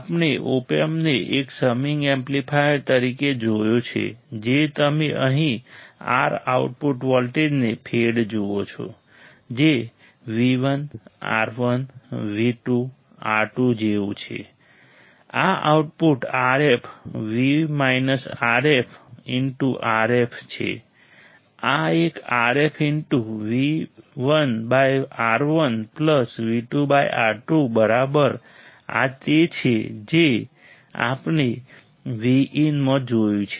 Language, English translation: Gujarati, We have seen op amp as a summing amplifier you see R output voltage fed here, that is like V 1, R 1, V 2, R 2 right this output will be RF into V minus RF into RF is this one RF into V 1 by R 1 plus V 2 by R 2 right this is what we have seen into V in